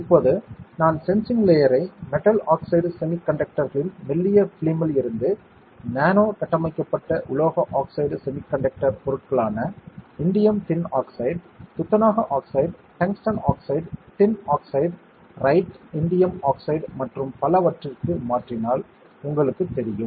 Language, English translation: Tamil, Now, you know that if I change the sensing layer from thin films of metal oxide semi conductors to nano structured metal oxide semi conducting materials like indium tin oxide, zinc oxide, tungsten oxide, tin oxide right, indium oxide and many more